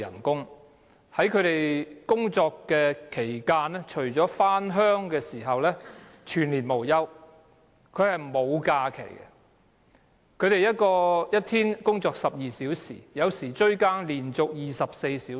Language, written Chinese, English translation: Cantonese, 工人除了在回鄉的日子，其餘日子全年無休地上班，沒有假期，一天工作12小時，有時候"追更"甚至要連續工作24小時。, These workers work day after day without taking any time off except for the days they spend on the trip to the Mainland . They usually work 12 hours a day or 24 hours when they are on consecutive shifts